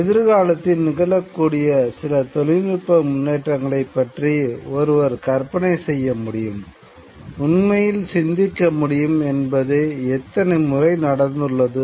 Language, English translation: Tamil, How many times has it happened that one could actually think of certain technological developments that might fantasize about certain technological developments that might happen in the future